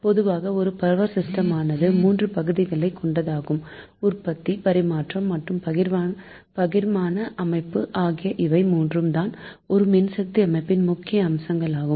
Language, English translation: Tamil, first thing is generally there are three section we consider in power system: generation, transmission and distributions system are the main components of an electric power system